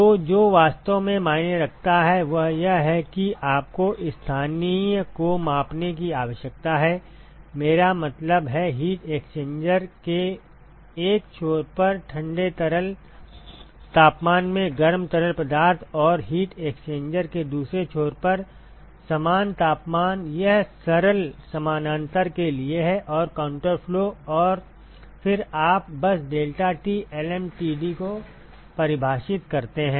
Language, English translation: Hindi, So, what really matters is that you need to measure the local, I mean, the hot fluid in the cold fluid temperatures at 1 end of the heat exchanger and a similar temperatures at the other end of the heat exchanger, this is for simple parallel and counter flow and, then you simply define the deltaT lmtd